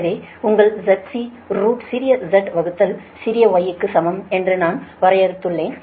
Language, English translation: Tamil, you know, root of small z by small y